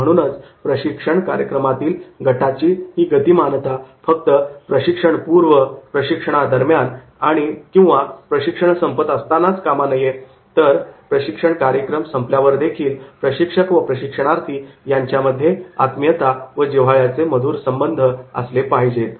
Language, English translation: Marathi, So, I wish that is the group dynamics in the training program will not be only the pre and during development and during concluding, but even after the training program there will be the cohesiveness and the well wishes amongst the trainers and trainees, thank you